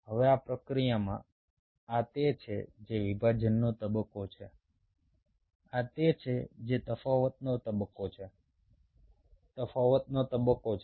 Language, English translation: Gujarati, now, in this process, this is which is the division phase, this is which is the differentiation phase